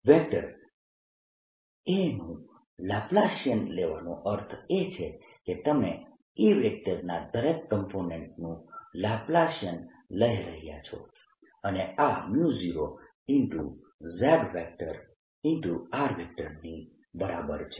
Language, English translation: Gujarati, by taking laplacian of vector a one means that you are taking laplacian of each component of a and this is equal to mu naught j of r